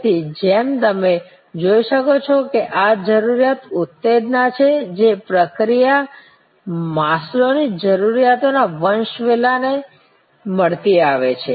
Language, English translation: Gujarati, So, as you can see this need arousal, mechanisms are quite tight to the Maslow’s hierarchy of needs